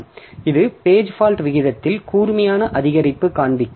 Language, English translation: Tamil, So, it will show a sharp increase in the page fault rate